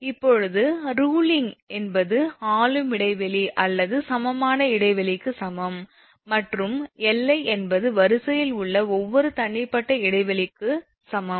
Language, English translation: Tamil, Now where Le is equal to ruling span or equivalent span, and Li is equal to each individual span in line